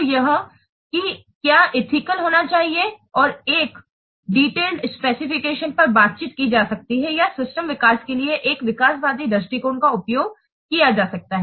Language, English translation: Hindi, So that what should be ethical and a detailed specification may be negotiated or an evolutionary approach may be used for the system development